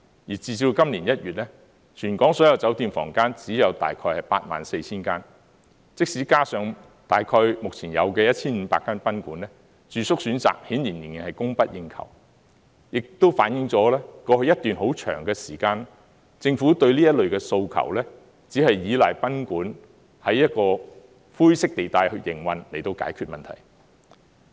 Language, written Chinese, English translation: Cantonese, 截至今年1月，全港所有酒店房間只有大約 84,000 間，即使加上大約現有的 1,500 間賓館，住宿選擇顯然仍然是供不應求，亦都反映出，過去一段很長時間，政府對這類訴求，只是依賴賓館在灰色地帶裏去營運，以解決問題。, As at January this year the total number of hotel rooms in Hong Kong is about 84 000 units and we still have a shortfall of accommodation even if some 1 500 guesthouses are added . Over a long period in the past the Government only relied on guesthouses which were operated in the grey area to address the accommodation demand